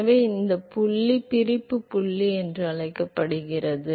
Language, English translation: Tamil, So, this point is called this separation point